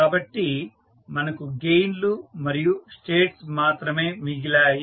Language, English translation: Telugu, So, we are left with the only gains and the states